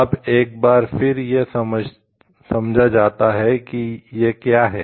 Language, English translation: Hindi, Now, then it is understand what it is